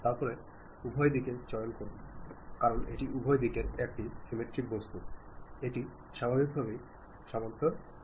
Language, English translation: Bengali, Then on both sides, because this is a symmetric objects on both sides it naturally adjusts to that